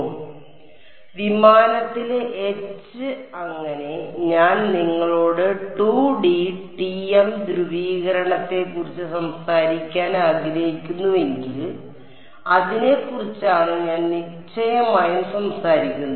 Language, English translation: Malayalam, So, H in the plane and E z so, if I want to continue to you talk about 2D TM polarization that is what I want to continue to talk about for definiteness